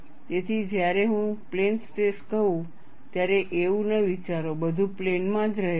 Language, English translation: Gujarati, So, do not think when I say plane stress everything remains in the plane, it is not so